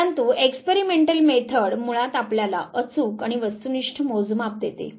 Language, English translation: Marathi, But experimental method basically it gives you accurate and objective measurement